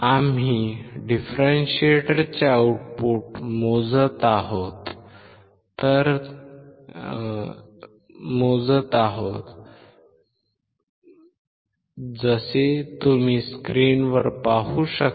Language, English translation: Marathi, We are measuring the output of the differentiator so, as you can see on the screen right